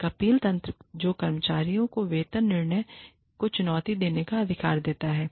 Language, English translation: Hindi, An appeal mechanism, that gives employees, the right to challenge, a pay decision